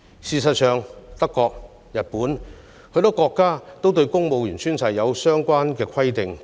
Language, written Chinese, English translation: Cantonese, 事實上，德國、日本及許多國家對公務員宣誓也有相關的規定。, In fact the requirement for civil servants to take an oath upon assuming office is also present in Germany Japan and numerous other countries